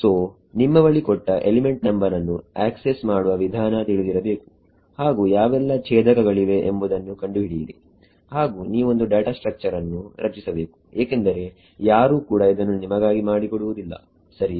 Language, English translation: Kannada, So, you need to have a of accessing given element number find out which nodes are there you have to create the data structure no one is going to make it for you right